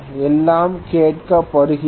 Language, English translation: Tamil, Everything is being asked okay